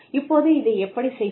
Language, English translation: Tamil, Now, how do you do this